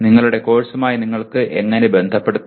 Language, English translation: Malayalam, In what way you can relate to your course